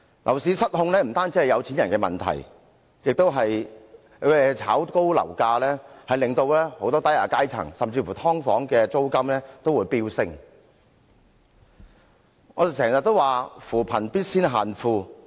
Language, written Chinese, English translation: Cantonese, 樓市失控不單是有錢人的問題，樓價被炒高會對很多低下階層市民造成影響，甚至令"劏房"租金飆升。, When the property market gets out of control it is not only a problem faced by the rich; the soaring property prices will also affect the grass roots and even push up the rents of subdivided units